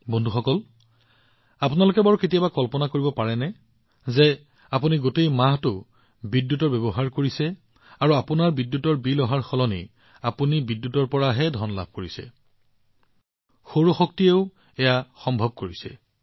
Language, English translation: Assamese, Friends, can you ever imagine that on using electricity for a month, instead of getting your electricity bill, you get paid for electricity